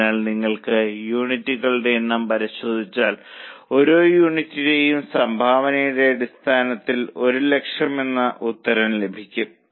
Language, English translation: Malayalam, So, if you check number of units by total contribution upon contribution per unit, you will get answer as 1 lakh